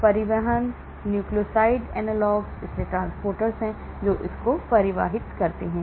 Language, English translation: Hindi, Transport , nucleoside analogues, so there are transporters which transport